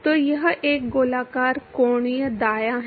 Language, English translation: Hindi, So, it is a circular angular right